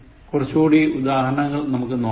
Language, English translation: Malayalam, Let us look at some more examples